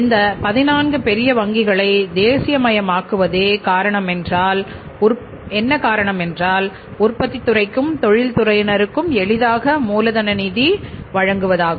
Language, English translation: Tamil, So, one reason was of nationalizing these 14 big banks was to provide easy finance, easy working capital finance to the industry or to the manufacturing sector